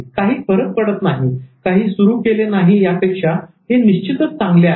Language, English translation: Marathi, This is far better than not having started it at all